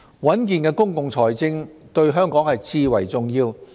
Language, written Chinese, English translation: Cantonese, 穩健的公共財政對香港至為重要。, Sound public finance is crucially important to Hong Kong